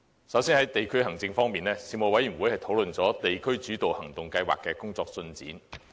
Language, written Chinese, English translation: Cantonese, 首先，在地區行政方面，事務委員會討論了"地區主導行動計劃"的工作進展。, First of all in respect of district administration the Panel discussed the progress of the District - led Actions Scheme